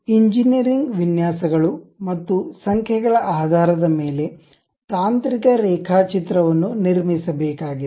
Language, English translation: Kannada, Based on the engineering designs and numbers, the technical drawing one has to construct it